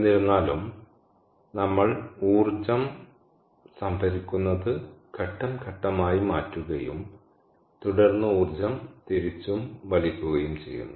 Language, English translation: Malayalam, ok, however, we store energy by changing its phase and then extract energy, vice versa